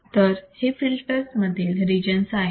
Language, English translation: Marathi, So, these are the regions within a filter